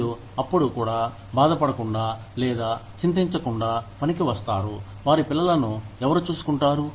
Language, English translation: Telugu, And, then also, come to work without bothering, or without worrying as to, who will look after their children